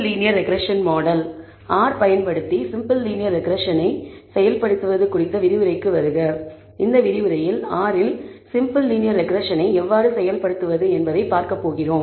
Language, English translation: Tamil, Welcome to the lecture on the implementation of simple linear regression using R In this lecture, we are going to see how to implement simple linear regression in R